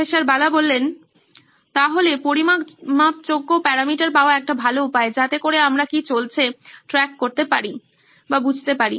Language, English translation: Bengali, So, it’s a good tip to have a measurable parameter, so that we can track what is going on